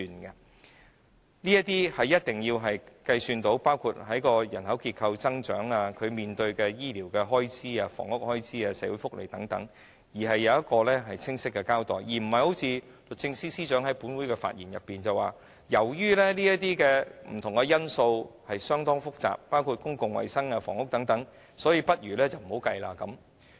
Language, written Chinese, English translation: Cantonese, 計算的過程須包括人口增長、醫療開支、房屋開支、社會福利等，並清晰交代，而並非一如律政司司長在本會發言時所說般，由於這些不同的因素相當複雜，包括公共衞生、房屋等，所以倒不如不要計算在內。, The computation process must include population growth medical and housing expenses and also welfare benefits together with a clear account . It should not be like the Secretary for Justices assertion in her speech in this Council the assertion that since all such various factors such as public health and housing are very complicated they should rather be excluded from computation